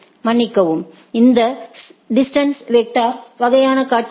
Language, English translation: Tamil, Sorry, this distance vector type of scenario